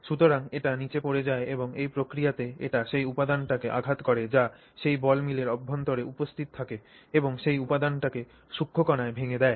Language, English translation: Bengali, So, it falls down and then in the process it hits that material which is also present inside that ball mill and breaks that material into finer particles